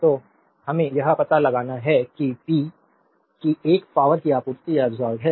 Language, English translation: Hindi, So, and power we have to find out p 1 is the power supplied or absorbed